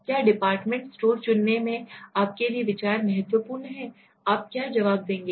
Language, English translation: Hindi, What considerations are important to you in selecting a department store, what will you answers